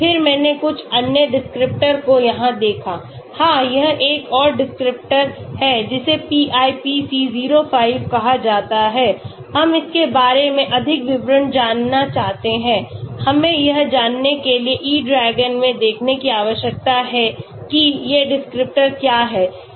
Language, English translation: Hindi, Then, I looked at some other descriptors here, yeah this is another descriptor called PIPC05, we want to know more details about it, we need to look into E DRAGON to know what these descriptors are